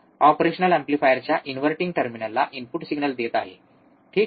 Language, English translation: Marathi, To the inverting terminal of an operational amplifier, alright